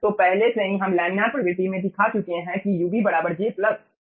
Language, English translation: Hindi, so already we have shown: in the laminar regime ub is j plus u infinity